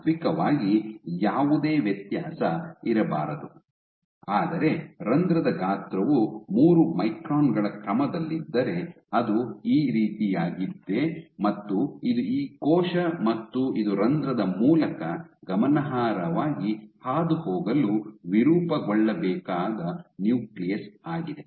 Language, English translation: Kannada, So, ideally there should be no difference, but if your pore size is ordered 3 microns then the real picture is something like this, this is your cell and this is your nucleus it has to deform significantly to make it through the pore ok